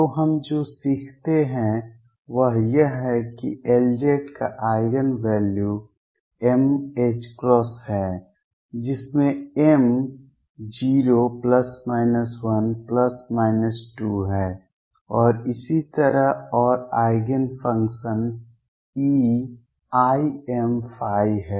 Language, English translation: Hindi, So, what we learn is that the Eigen values of L z are m h cross with m being 0 plus minus 1 plus minus 2 and so on and the Eigenfunctions are e raise to i